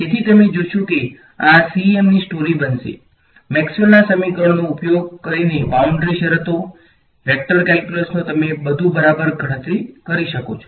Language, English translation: Gujarati, So, you will find that this is going to be the story of CEM, using Maxwell’s equations, boundary conditions, vector calculus you can calculate everything ok